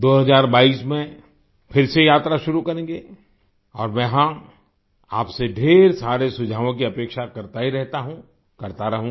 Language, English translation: Hindi, We will start the journey again in 2022 and yes, I keep expecting a lot of suggestions from you and will keep doing so